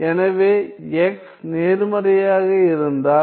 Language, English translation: Tamil, So, if my x is positive